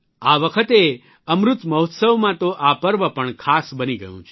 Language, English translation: Gujarati, This time in the 'Amrit Mahotsav', this occasion has become even more special